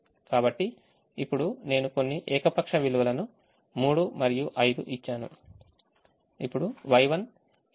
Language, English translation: Telugu, so now i have given some arbitrary values, three and five